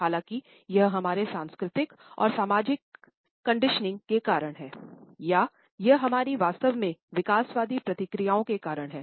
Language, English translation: Hindi, However, whether it is owing to our cultural and social conditioning or it is because of our indeed evolutionary processes